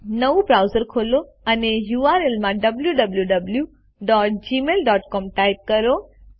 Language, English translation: Gujarati, Open a fresh browser and the type the url www.gmail.com.Press Enter